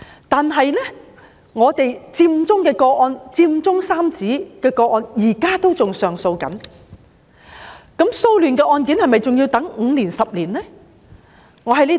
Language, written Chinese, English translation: Cantonese, 但是，"佔中三子"的個案，現在仍然在上訴。那麼，騷亂的案件是否還要等5年至10年才能審理？, However given that the case related to the trio of Occupy Central is still pending appeal will hearing of cases related to the disturbances be conducted after a long wait of 5 to 10 years?